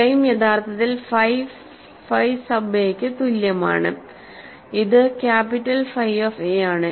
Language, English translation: Malayalam, So, the claim is phi is actually equal to phi sub a which is capital phi of a